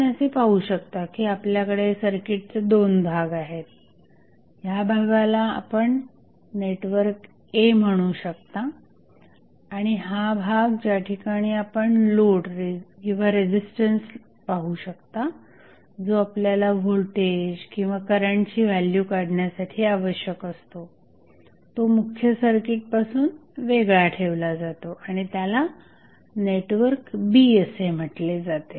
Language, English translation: Marathi, As we see you have 2 sections of the circuit you can say this section is network A and where you see the load or the resistance which, which is of your interest to find out the value of either voltage or current that would be separated from the main circuit and it is called as network B